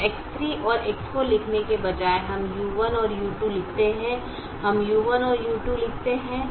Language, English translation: Hindi, now, instead of writing x three and x four, we write u one and u two